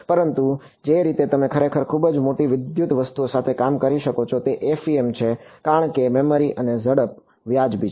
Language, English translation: Gujarati, But, the way you are able to really work with very large electrical objects is FEM because memory and speed are reasonable